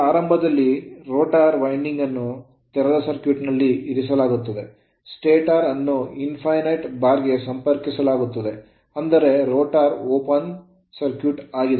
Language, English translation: Kannada, Now assume initially the rotor winding to open circuited and let the stator be connected to an infinite bar; that means, you assume the rotor is open circuited it is it is not short circuited